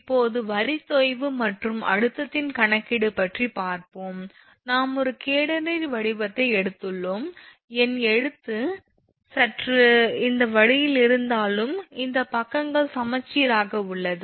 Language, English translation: Tamil, Now, these are some simple thing, now calculation of line sag and tension, actually we have taken a catenary shape these are symmetrical although my handwriting is slightly this way, but this side and this side it is symmetrical right